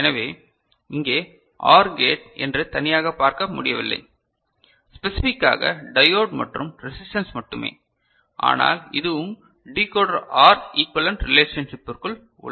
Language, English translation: Tamil, So, here we do not see a you know, OR gate as such specifially put, only diode and resistance, but this is also within your Decoder OR equivalent relationship, fine